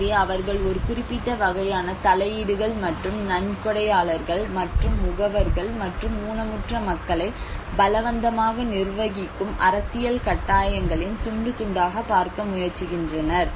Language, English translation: Tamil, So they are try to look at a limited variety of interventions and a fragmentation of donors and agencies and political imperatives managing forcibly disabled populations